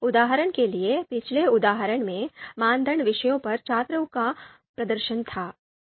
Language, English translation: Hindi, For example in the previous example, the criteria was the subjects performance on subjects